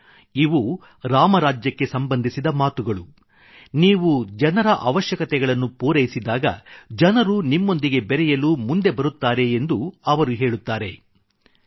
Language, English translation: Kannada, He states that these are matters related to Ram Rajya, when you fulfill the needs of the people, the people start connecting with you